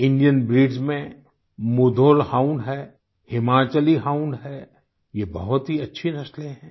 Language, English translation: Hindi, Among the Indian breeds, Mudhol Hound and Himachali Hound are of excellent pedigree